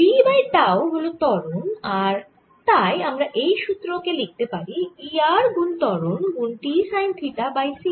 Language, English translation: Bengali, now v over tau is the acceleration and therefore i can write this formula as e r acceleration times t sin theta over c